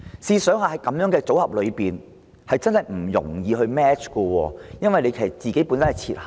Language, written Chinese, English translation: Cantonese, 試想想，這種組合其實真的難以 match， 因為計劃本身已設限。, Come to think about this such a combination makes it difficult to do matching because there are restrictions in the scheme itself